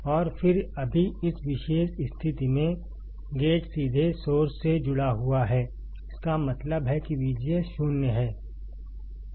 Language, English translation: Hindi, And then, right now in this particular condition, the gate is directly connected to source; that means, that V G S, V G S is 0